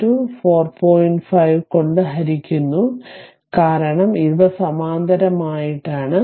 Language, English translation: Malayalam, 5 divided by your, because these are this in parallel